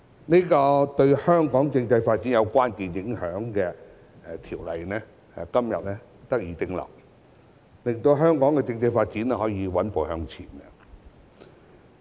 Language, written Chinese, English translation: Cantonese, 此項對香港政制發展有關鍵影響的條例草案在今天得以通過，令到香港的政制發展可以穩步向前。, This Bill which is critical to Hong Kongs constitutional development will be passed today enabling the steady progress of Hong Kongs constitutional development